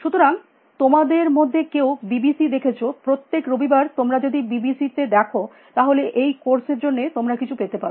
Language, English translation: Bengali, So, some of you saw, BBC every Sunday if you see BBC you get something for this course